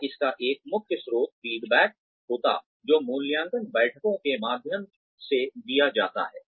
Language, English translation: Hindi, Or, one of the main sources of this, would be the feedback, that is given through the appraisal meetings